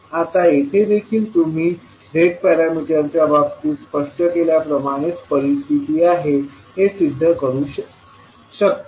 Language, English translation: Marathi, Now here also you can prove the particular scenario in the same way as we explained in case of Z parameters, how